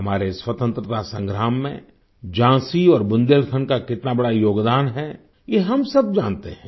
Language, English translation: Hindi, All of us know of the huge contribution of Jhansi and Bundelkhand in our Fight for Freedom